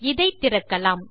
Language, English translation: Tamil, Lets open this up